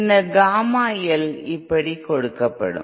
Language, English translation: Tamil, Then Gamma L will be given like this okay